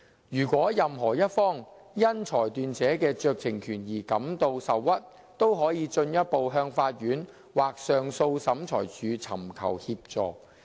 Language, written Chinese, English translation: Cantonese, 如果任何一方因裁斷者的酌情權而感到受屈，都可以進一步向法院或上訴審裁處尋求協助。, Any party who was aggrieved by the exercise of the discretion might seek assistance from courts or appeal tribunals